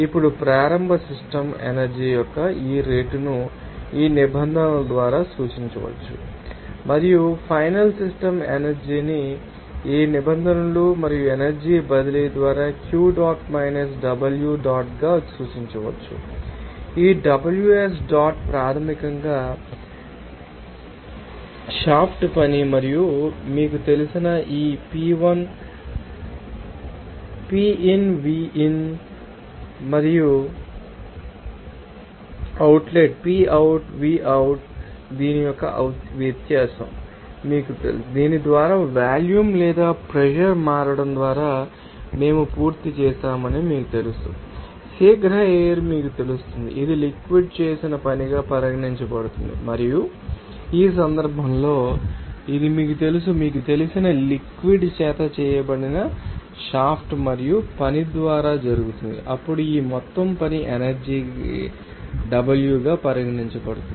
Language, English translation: Telugu, Now, this rate of initial system energy can be represented by these terms and the final system energy can be represented by these terms and energy transfer that will be q dot minus w dot, this Ws dot is basically that shaft work and this P1 you know Pin Vin and also the outlet PoutVout the difference of this you know that we are done by this changing of volume or pressure by this you know quick flow it will be regarded as that work done by the fluid and in this case this you know that were done by the shaft and work done by the fluid you know flow then it can be regarded as total work energy as w